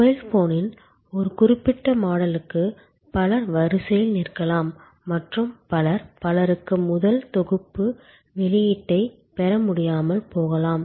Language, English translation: Tamil, For a particular model of mobile phone, there may be many people may be queuing up and many, many people may not be able to get the first set of release and so on